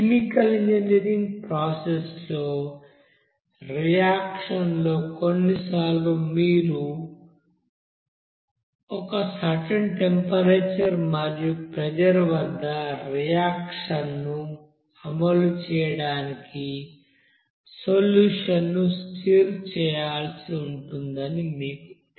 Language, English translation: Telugu, You know that in chemical engineering process where in a reaction sometimes you need to you know stir the solution to execute the reaction at a certain temperature and pressure